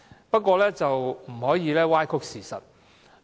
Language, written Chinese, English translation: Cantonese, 不過，他們不可以歪曲事實。, However they cannot distort the facts